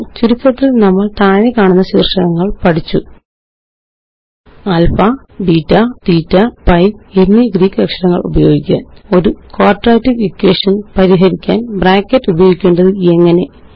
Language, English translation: Malayalam, To summarize, we learned the following topics: Using Greek characters like alpha, beta, theta and pi Using Brackets Writing Steps to solve a Quadratic Equation